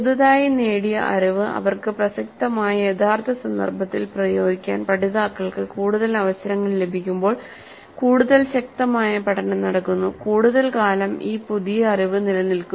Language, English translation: Malayalam, The more the opportunities for the learners to apply their newly acquired knowledge in real contexts that are relevant to them, the stronger will be the learning and the longer will be the retaining of this new knowledge